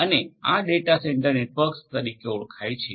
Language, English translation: Gujarati, And this is known as the data centre network